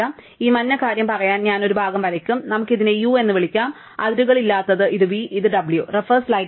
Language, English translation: Malayalam, So, I will draw one part say this yellow thing and let us call this u and which have not drawn a boundary for, this is v, and this is w